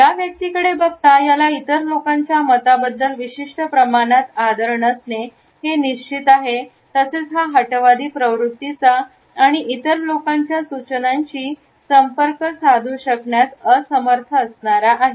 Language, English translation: Marathi, This person has a certain lack of respect for the opinions of other people, also has certain stubbornness and would not be open to the suggestions of other people